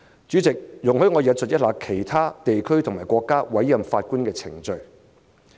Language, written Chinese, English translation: Cantonese, 主席，容許我引述其他地區和國家委任法官的程序。, President please allow me to relate the procedures of appointment of judges in other regions and countries